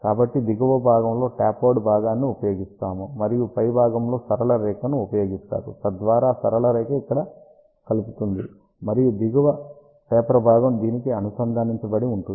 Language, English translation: Telugu, So, a tapered portion is used at the bottom side and on the top side a straight line is used, so that straight line connects over here and the bottom taper portion is connected to this